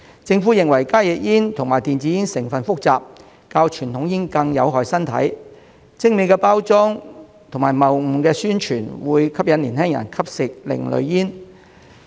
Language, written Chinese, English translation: Cantonese, 政府認為加熱煙和電子煙的成分複雜，較傳統煙更有害身體，精美包裝及謬誤的宣傳會吸引年輕人吸食另類煙。, The Government considers that HTPs and e - cigarettes have complex composition and are more hazardous to health than conventional cigarettes and the fancy packaging and misleading advertising will attract young people to consume alternative smoking products